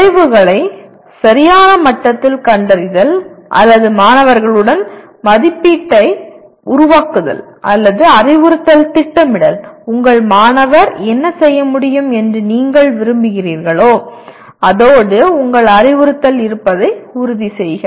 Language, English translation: Tamil, Either locating the outcomes at the right level or making the assessment in alignment with outcomes or planning instruction making sure that your instruction is in line with what you wanted your student to be able to do